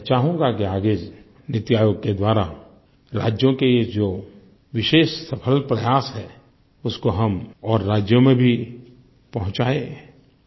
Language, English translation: Hindi, I would like that in future, through the Niti Aayog, the exceptionally successful efforts of these states should be applied to other states also